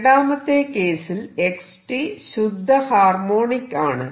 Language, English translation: Malayalam, In the second case x t is purely harmonics